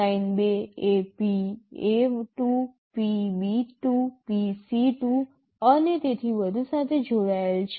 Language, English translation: Gujarati, Line2 is connected to PA2, PB2, PC2, and so on